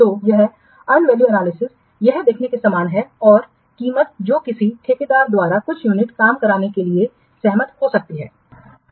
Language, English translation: Hindi, So, this unvalue analysis, it is similar as viewing the price that might be agreed by a contractor for doing some unit of work